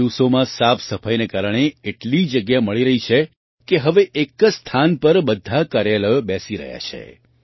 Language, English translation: Gujarati, These days, due to this cleanliness, so much space is available, that, now, all the offices are converging at one place